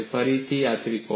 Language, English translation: Gujarati, Again, this triangle